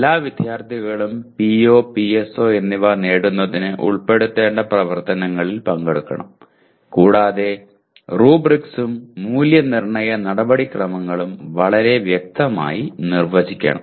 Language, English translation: Malayalam, All students should participate in the activities to be included for computing the attainment of PO and PSO as well as the rubrics and evaluation procedures should be very clearly defined